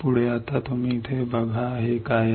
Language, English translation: Marathi, Next is now you see here what this is